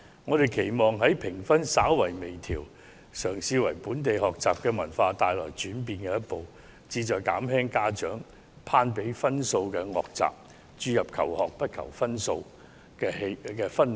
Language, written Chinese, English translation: Cantonese, 我們期望藉此項有關評級制度的微調，嘗試為本地學習文化帶來轉變的一步，此舉旨在減輕家長攀比分數的惡習，營造求學不求分數的氛圍。, We hoped that with such minor adjustment in the rating system a step can be taken to change the learning culture of Hong Kong so as to discourage the bad practice among parents of comparing the scores of their children and cultivate the atmosphere where learning is not about achieving high scores